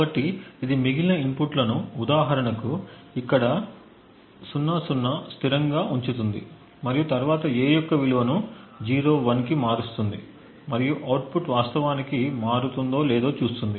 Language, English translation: Telugu, So, what it does is that it keeps the remaining inputs constant for example 00 over here and then changes the value of A to 01 and sees if the output actually changes